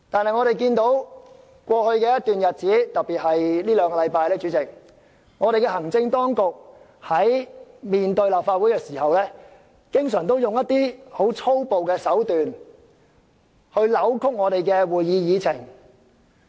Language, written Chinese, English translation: Cantonese, 可是，在過去一段日子，特別是這兩個星期，主席，我們看到行政當局在面對立法會時，經常以粗暴手段來扭曲我們的議程。, However over the past period especially these last two weeks President we have seen how often the executive has sought to distort our Agenda by forceful means in its dealings with the Legislative Council